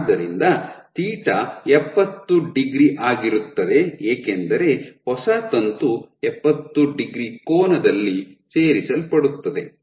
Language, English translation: Kannada, So, your θ is 70 degrees because the new filament gets added at an angle of 70 degrees